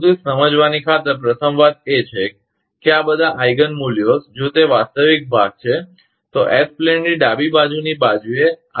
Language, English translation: Gujarati, But for the sake of understanding that first thing is, that all this Eigen values, if it is that real part, will lie on the left half of the S plane